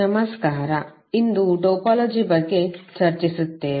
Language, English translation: Kannada, Namashkar, so today we will discuss about the topology